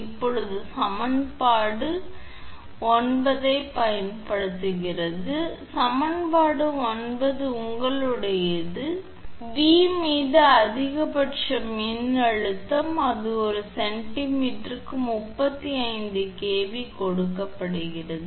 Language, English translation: Tamil, Now using equation 9; equation 9 is your V upon that is the maximum electric stress it is given 35kV by kV per centimeter